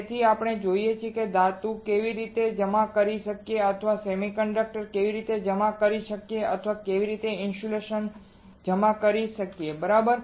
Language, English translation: Gujarati, Now let us see how we can deposit metal or how we can deposit semiconductor or how we can deposit insulator alright